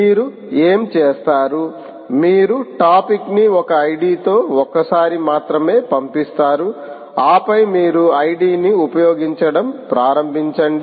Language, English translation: Telugu, you associate, you send the topic only once with an id toward and then you only start using the id